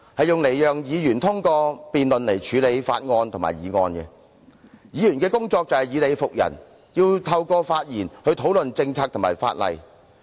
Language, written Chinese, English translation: Cantonese, 議會讓議員通過辯論來處理法案及議案，議員的工作就是以理服人，透過發言討論政策及法例。, The legislature allows Members to deal with bills and motions through debate . It is Members duty to convince people by reasoning and discuss policies and legislation through speeches